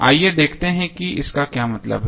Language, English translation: Hindi, Let us see what does it mean